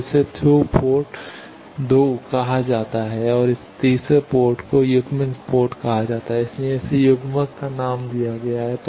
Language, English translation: Hindi, So, this is called through port 2 and this third port is called coupled port, that is why the name coupler